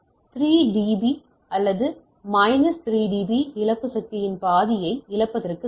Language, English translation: Tamil, So, a loss of 3 db or minus 3 db is equivalent of losing half of the power